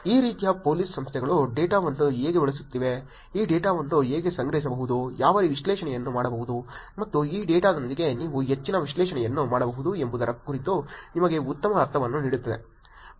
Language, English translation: Kannada, This kind of gives you a good sense of how these Police Organizations are using the data, how this data can be collected, what analysis can be done, and I am sure you can do more analysis with this data also